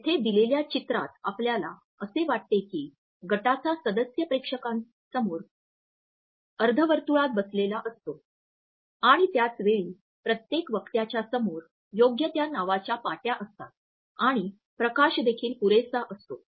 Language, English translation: Marathi, Here in the given picture we can feel that panelist are seated in a semicircle in front of the audience and then at the same time there are proper paper name tents in front of each speaker and the lighting is also adequately bright